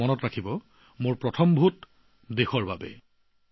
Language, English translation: Assamese, And do remember 'My first vote for the country'